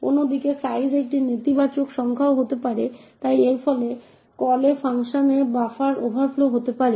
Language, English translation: Bengali, On the other hand size could be a negative number as well, so this could result in a buffer overflow in the callee function